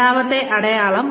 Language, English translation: Malayalam, The second sign